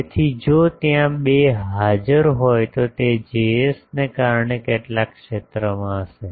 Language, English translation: Gujarati, So, if there are 2 present it will be some of the field due to Js